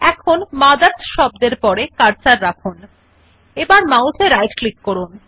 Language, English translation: Bengali, Now place the cursor after the word MOTHERS and right click on the mouse